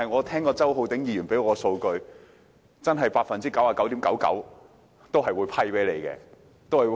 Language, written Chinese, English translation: Cantonese, 然而，周浩鼎議員剛才提出數據，指 99.99% 的申請都會獲批。, However Mr Holden CHOW presented some figures saying that 99.99 % of all applications would be approved